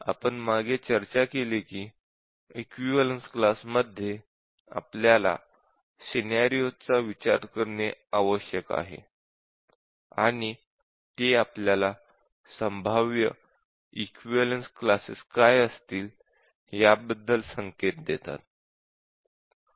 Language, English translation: Marathi, In equivalence class, we need to consider the scenarios and that gives us hint about what are the possible equivalence classes